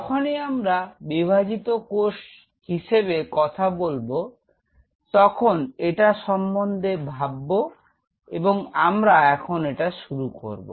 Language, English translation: Bengali, Whenever you talk about dividing cell think of it say if I take the let us start it